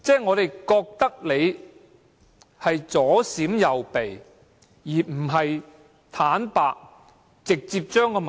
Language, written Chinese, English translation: Cantonese, 我們覺得他們在左閃右避，而不是坦白地直接說出問題。, In effect we feel that they have been avoiding telling the truth